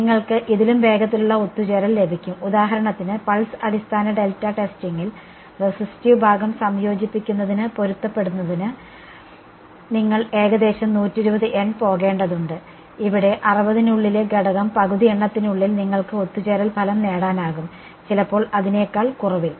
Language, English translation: Malayalam, You will get even faster convergence for example, in the pulse basis delta testing you have to go nearly 120 N in order to get the resistive part to match to converge, here within half the number of elements within 60 you are able to get convergent result may be even less than that right